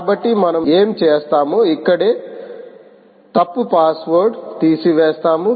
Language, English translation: Telugu, we will remove and put a wrong password here